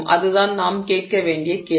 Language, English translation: Tamil, That is the question we have to ask